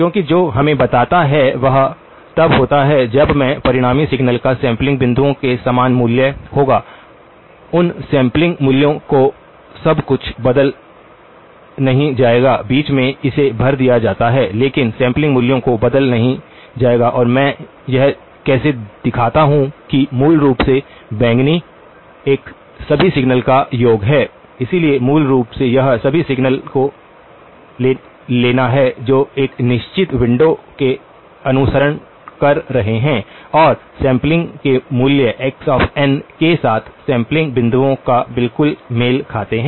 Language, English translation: Hindi, Because what that tells us is when I (()) (25:36) the resultant signal will have same value as the sampling points, those sample values will not be altered everything in between gets filled it but the sample values will not be altered and how do I show that so basically, the purple one is the sum of all the signals, so basically it is the (()) (25:59) whatever of take all the signals that are following in a certain window and we will find that at the sampling points you are exactly coinciding with sample value x of n